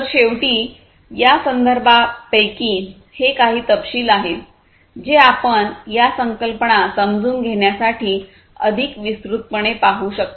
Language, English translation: Marathi, So, finally, these are some of these references that you could go through in order to understand these concepts in greater detail